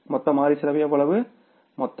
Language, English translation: Tamil, Total variable cost is how much